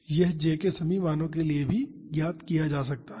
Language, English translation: Hindi, This also can be found out for all the values of j